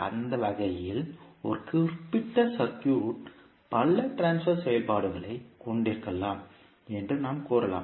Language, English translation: Tamil, S,o in that way we can say a particular circuit can have many transfer functions